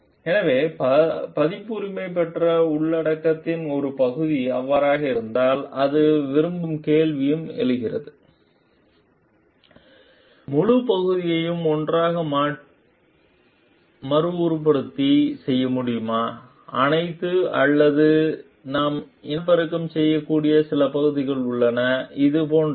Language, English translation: Tamil, So, if a part of the copyrighted material so, it also like comes to question can we reproduce the entire part entire thing together, together all or there are certain parts which we can reproduce, which is like